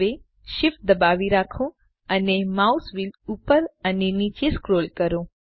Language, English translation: Gujarati, Now, hold SHIFT and scroll the mouse wheel up and down